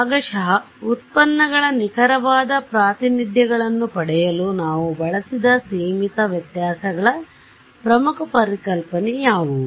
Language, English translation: Kannada, What are the key concept for finite differences that we used to get accurate representations of the partial derivatives